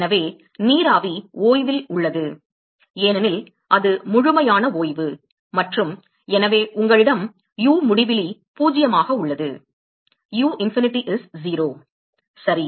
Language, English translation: Tamil, So, the vapor is at rest, because it is complete rest and so, you have u infinity is 0 ok